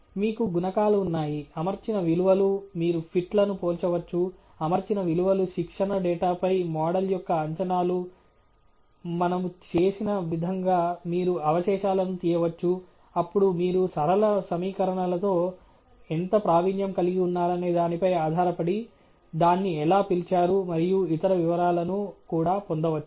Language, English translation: Telugu, You have coefficients, the fitted values, you can compare the fits; the fitted values are the predictions of the model on the training data; you can extract the residuals like we did; then you can also get other details as to how it was called and so on, depending on how well versed you are with linear equations